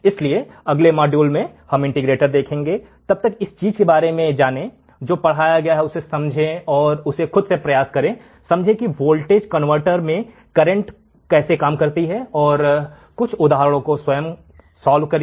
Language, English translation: Hindi, So, in the next module, we will see the integrator, till then learn about this thing; understand what has been taught, understand how the current to voltage converter works and solve few more examples by yourself